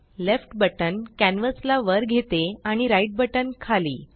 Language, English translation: Marathi, The left button moves the canvas up and the right button moves it down